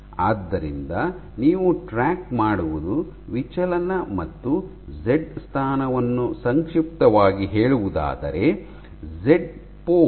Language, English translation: Kannada, So, what you track is the Z position, Z pos in short and the deflection